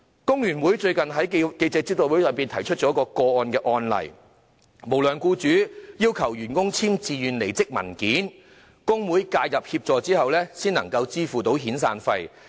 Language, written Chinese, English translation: Cantonese, 工聯會最近在記者招待會上提出了一宗案例，有無良僱主要求員工簽署自願離職文件，工會介入協助後，該名僱主才願意支付遣散費。, Recently the Hong Kong Federation of Trade Unions has revealed a case in the press conference . An unscrupulous employer requested his employees to sign a voluntary resignation document . It was only after the trade union had intervened that the employer agreed to make the severance payments